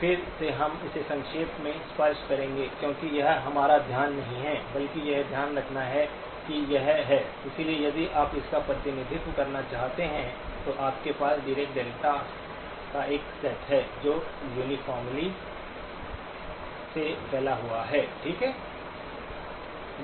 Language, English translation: Hindi, Again we will just touch upon it briefly because that is not our focus but just to keep in mind that this is the; so if you want to represent this, you have a set of Dirac deltas which are uniformly spaced, okay